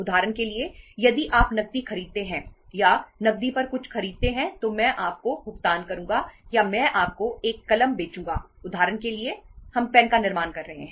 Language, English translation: Hindi, Say for example if you buy the cash or something on cash, Iíll pay you or Iíll sell you a pen, for example we are manufacturing the pens